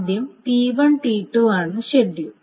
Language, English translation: Malayalam, So first of all, so T1 is the schedule